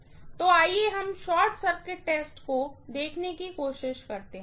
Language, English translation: Hindi, So, let us try to look at the short circuit test